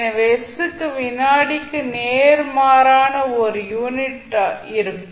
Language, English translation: Tamil, So, s will have a unit of inverse of second